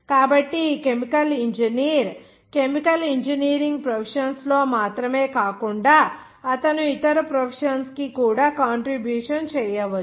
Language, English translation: Telugu, So this chemical engineer works not only in the chemical engineering professions, but he can act to keep a contribution to the other profession also